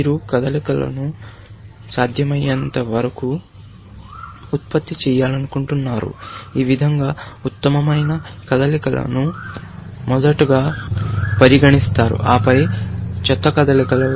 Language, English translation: Telugu, You would like to generate the moves as far as possible, in such a manner that the best moves are considered first, and then, the worst moves, essentially